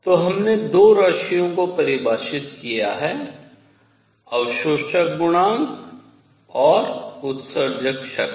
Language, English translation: Hindi, So, we have defined 2 quantities; absorption coefficient and emissive power